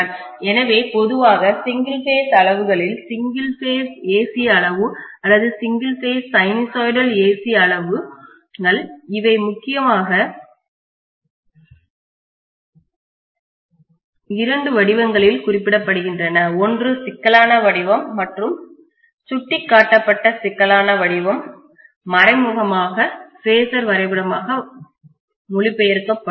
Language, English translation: Tamil, So in general single phase quantities when we look at single phase AC quantity or single phase sinusoidal AC quantities, they are represented mainly in two forms, one is in complex form and the complex form indicated is also indirectly translating into phasor diagram